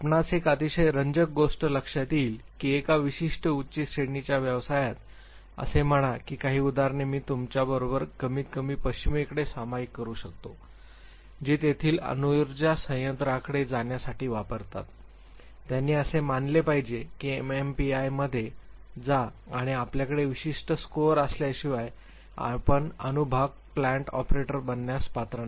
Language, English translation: Marathi, You would realize a very interesting thing that in a certain high state professions, say for in some example I can share with you in at least in the west,those who use to go to the nuclear power plants the operators there, they were suppose to undergo in MMPI and unless you have certain score you will not be qualified to become a nuclear part plant operator